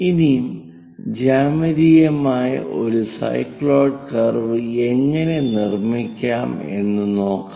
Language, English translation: Malayalam, Now how to construct a cycloid curve geometrically